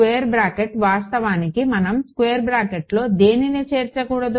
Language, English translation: Telugu, Square bracket actually yeah square bracket should not include the